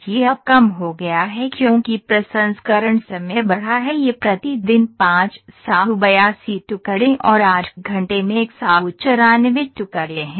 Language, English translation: Hindi, So, it has reduced now because the processing time is increased ok, it is 582 pieces per day 194 pieces in a 8 hour day ok